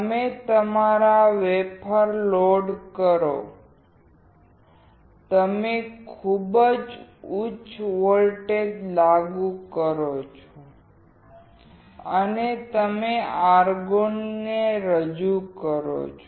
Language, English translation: Gujarati, You load your wafer; you apply a very high voltage and you introduce argon